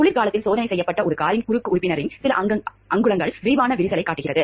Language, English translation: Tamil, A few inches of the cross member from a car that was winter tested showed extensive cracking